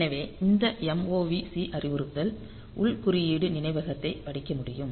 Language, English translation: Tamil, So, this mov c the instruction it can read internal code memory